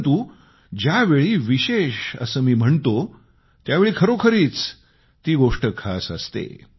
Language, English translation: Marathi, But, when I refer to it as special, I really mean it as special